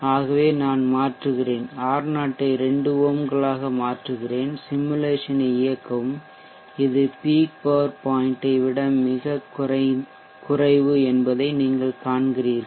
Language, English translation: Tamil, So let us say I change alter R0 to 2 ohms run the simulation, you see that it is much lesser than the peak power point